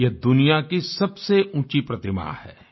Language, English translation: Hindi, It is the tallest statue in the world